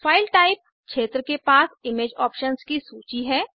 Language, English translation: Hindi, File Type field has a list of image options